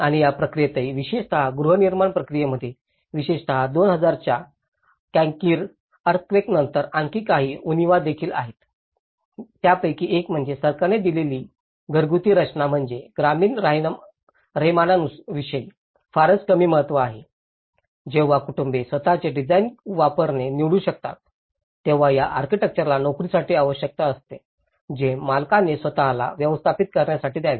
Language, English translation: Marathi, And even in this process, there are so especially, in the housing process especially, in after the 2000 Cankiri earthquake, there are also some other shortcomings; one is the house designs offered by the government have very little regard to local rural living styles and while families can choose to use their own design, this entails hiring an architect which the owner must pay for in manage themselves